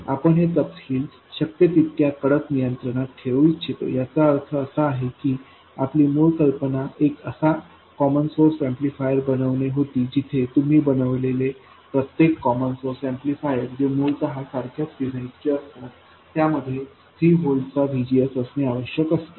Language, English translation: Marathi, So this means that our original idea was to make a common source amplifier where every common source amplifier you make which is basically copies of the same design should have a VGS of 3 volts